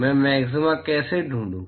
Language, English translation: Hindi, How do I find the maxima